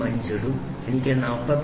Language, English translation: Malayalam, 005 so, I get 45